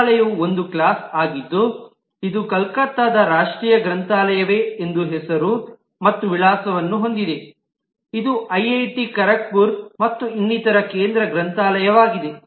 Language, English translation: Kannada, The library itself is a class which has a name and an address, whether it is the national library situated at Calcutta, which is a central library of IIT Kharagpur, and so on